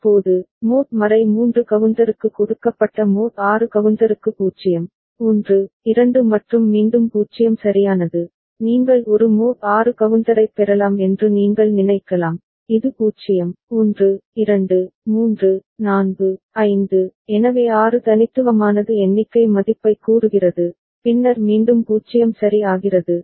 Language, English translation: Tamil, Now, for a mod 6 counter given the mod 3 counter was giving you 0, 1, 2 and then again 0 right, you may think that can we get a mod 6 counter, which is 0, 1, 2, 3, 4, 5, so 6 unique states the count value, then again it becomes 0 ok